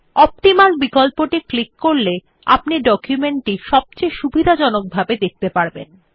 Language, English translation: Bengali, On clicking the Optimaloption you get the most favorable view of the document